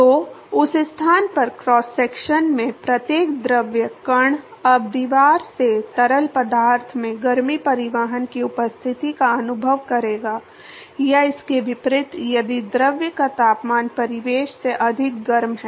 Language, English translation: Hindi, So, at that location every fluid particle in the cross section will now experience the presence of heat transport from the wall to the fluid or vice versa if the temperature of the fluid is hotter than the surroundings